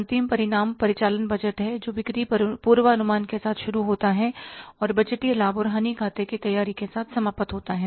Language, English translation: Hindi, The end result is the operating budget starts with the sales forecasting and ends up with the preparing the budgeted profit and loss account